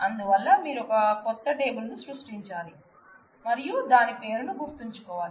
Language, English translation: Telugu, So, you will have to create new table and remember their name